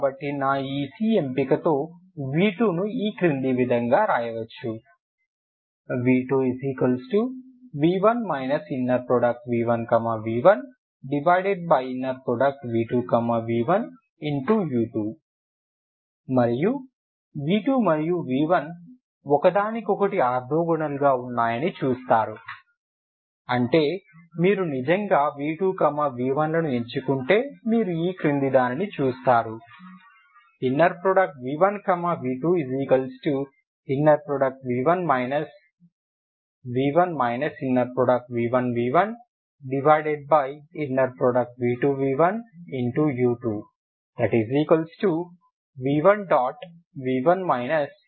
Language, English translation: Telugu, So with this c if i choose my v v2 is orthogonal to v1 that is the meaning ok so that implies v2 equal to v1 plus v2v2 divided by u2v2 into u2 so you see that this is and v1 equal to u1, so i already u1 so v1 wherever v1 is the that is actually u1 so i can write in terms of u1u1